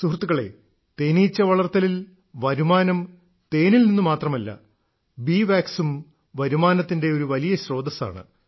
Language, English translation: Malayalam, Friends, Honey Bee Farming do not lead to income solely from honey, but bee wax is also a very big source of income